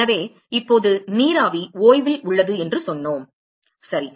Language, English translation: Tamil, So, now, we said that the vapor is at rest right